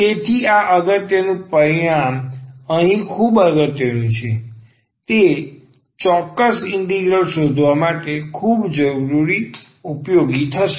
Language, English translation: Gujarati, So, this is very important now here the important result which will be very useful now to find the particular integral